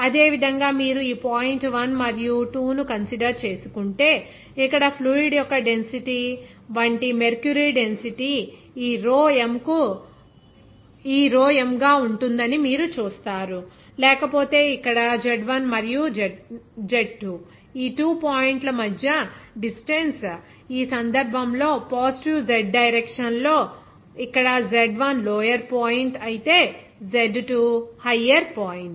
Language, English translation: Telugu, Similarly, if you consider this point 1 and 2, then you will see that here density of the fluid will be mercury density like this rho m or else the distance between these 2 points here Z1 and Z2, in this case here see Z1 is lower point whereas Z2 is higher point in the positive Z direction